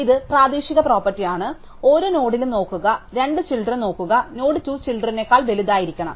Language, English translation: Malayalam, So, this is the local property, it just tells us at every node look at that node, look at the 2 children, the node must be bigger than it is 2 children